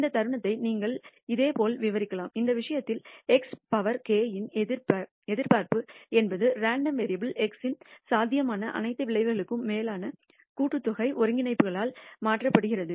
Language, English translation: Tamil, You can similarly describe this moment; in this case expectation of x power k is defined as summation integrations replaced by summation over all possible outcomes of the random variable x